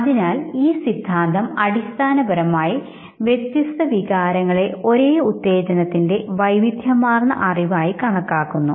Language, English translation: Malayalam, And therefore this theory basically considers different emotions as diverse cognition of the same arousal